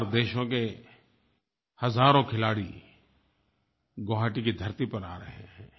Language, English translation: Hindi, Thousands of SAARC countries' players are coming to the land of Guwahati